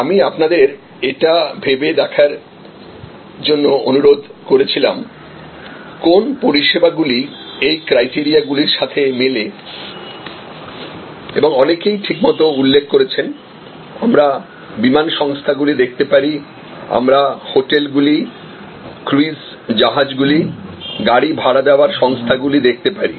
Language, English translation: Bengali, I requested you to think about, what services can match these criteria and as many of you have rightly pointed out, we can look at airlines, we can look at hotels, we can look at cruise ships, we can look at car rentals, car rental services